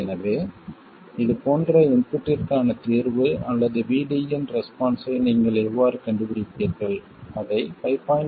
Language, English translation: Tamil, So, how would you find the solution or the response VD to an input like this you would have to find it for 5